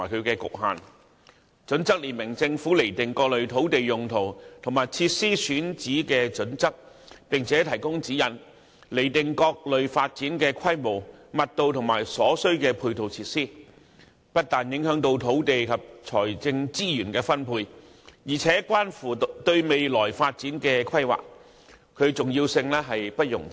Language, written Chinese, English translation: Cantonese, 《規劃標準》列明政府釐定各類土地用途及設施選址的準則，並且提供指引，釐定各類發展的規模、密度及所須的配套設施，不但影響土地及財政資源的分配，而且關乎對未來發展的規劃，其重要性不容置疑。, HKPSG not only provides the Government with locational guidelines for various types of land uses but also provides guidance on the scale intensity and site requirements of various developments as well as the supporting facilities required . There is no doubt about the importance of HKPSG because it does not only affect the allocation of land and financial resources but also the planning for future development